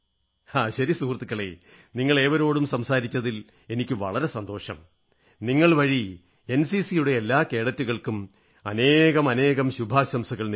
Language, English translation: Malayalam, Ok,friends, I loved talking to you all very much and through you I wish the very best to all the NCC cadets